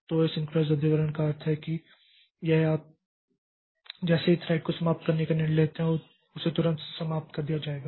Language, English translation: Hindi, So, asynchronous cancellation means that it you as soon as there is a decision to terminate the thread so it is terminated immediately